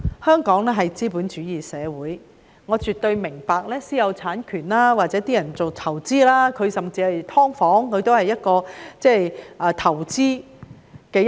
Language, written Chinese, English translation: Cantonese, 香港是資本主義社會，我絕對明白私有產權或有人投資甚至經營"劏房"，這也是投資的一種。, Hong Kong is a capitalist society . I absolutely understand private property rights or the fact that some people may invest in and even operate subdivided units which is also a form of investment